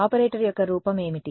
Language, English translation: Telugu, What is the form of the operator